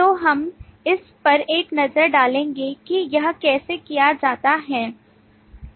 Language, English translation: Hindi, So we will take a look in terms of how this is done